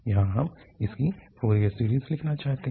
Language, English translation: Hindi, In this lecture, we are just talking about the Fourier series